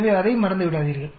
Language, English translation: Tamil, So, do not forget that